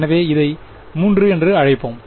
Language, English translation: Tamil, So, let us call this 3